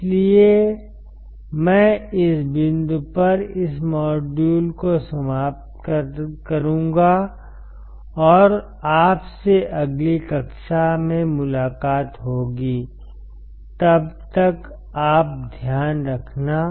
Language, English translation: Hindi, So, I will finish this module at this point, and I will see you in the next class till then you take care